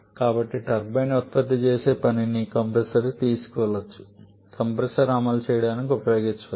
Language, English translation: Telugu, So, that the work produced by the turbine a part of that can be taken to the compressor can use to run the compressor